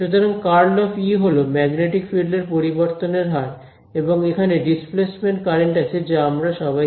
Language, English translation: Bengali, So, curl of E is rate of change of magnetic field and so on, there is the displacement current all of that is known to us right